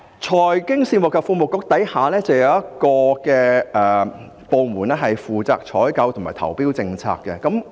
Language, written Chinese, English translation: Cantonese, 財經事務及庫務局下亦有一個負責採購及投標政策的部門。, Under the Financial Services and the Treasury Bureau there is also a department in charge of the procurement and tendering policies